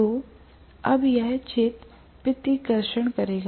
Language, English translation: Hindi, So, now it will field repulsion